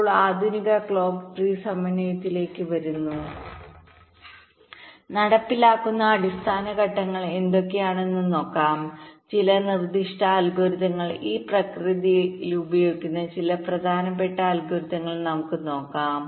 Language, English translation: Malayalam, ok, now coming to the modern clock tree synthesis, let us look at what are the basic steps which are carried out and some suggested algorithms, some important algorithms which are used in the process